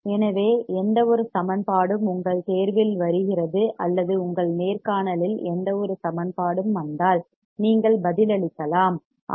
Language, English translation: Tamil, So, any equation comes in your exam or any equation comes in your interview, then you can answer, that yes